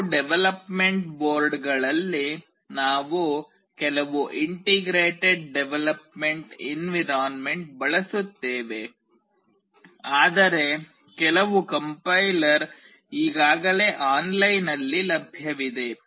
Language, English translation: Kannada, In some development boards we use some integrated development environment, but for some the compiler is already available online